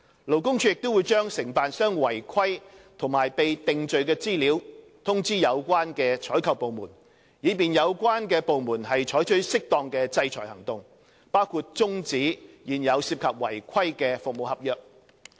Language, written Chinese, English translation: Cantonese, 勞工處亦會將承辦商違規和被定罪的資料通知有關採購部門，以便有關部門採取適當的制裁行動，包括終止現有涉及違規的服務合約。, LD will also inform the relevant procuring departments of the information of non - compliance and convictions of contractors to facilitate their imposition of appropriate sanctions including termination of existing service contracts involving non - compliance